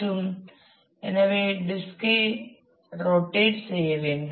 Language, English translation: Tamil, So, the disk will have to rotate